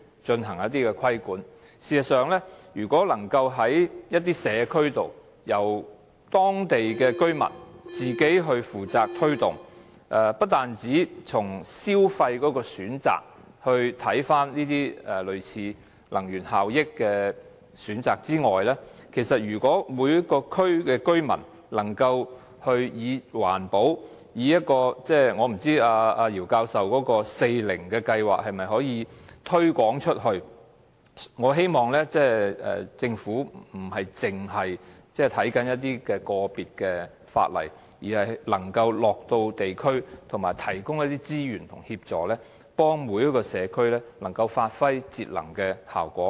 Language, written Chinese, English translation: Cantonese, 這些計劃不單需要藉法例進行規管，而若能由社區、當地居民自行負責推動，除了從消費角度看能源效益的選擇之外，如果每個區的居民能以環保......我不知道姚教授的"四零"計劃可否推廣至更多社區，但我希望政府不單只就個別的法例着眼，而能夠落區了解情況，並提供資源及協助，幫助每個社區發揮節能的效果。, These programmes need to be regulated by law but if the community and the local residents can take the initiative to implement the programmes apart from saving energy consumption for the purpose of saving money if residents of each district can aim at protecting the environment I wonder if Prof YIUs four zeros programme can be extended to more communities but I hope that the Government will not only focus on individual ordinances but also visit various districts to learn about the real situation and provide more resources and assistance to help each district save energy